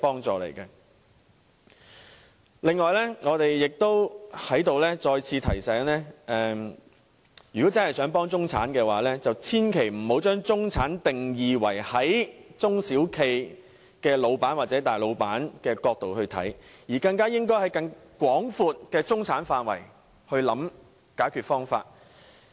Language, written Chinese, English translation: Cantonese, 此外，我在此再次提醒大家，如果真的想幫助中產，便千萬不要只站在中小企老闆或大老闆的角度為中產下定義，而應在更廣闊的中產範圍內作出考慮。, Here I would also like to remind Members once again not to define the term middle class solely from the angle of owners of small and medium enterprises or that of the big bosses if we really mean to help the middle - class people . We should consider the scope of its meaning from a broader perspective instead